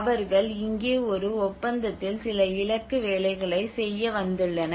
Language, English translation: Tamil, They are here on a contract, they are here to do certain targeted work